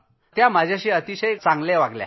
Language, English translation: Marathi, They were very nice to me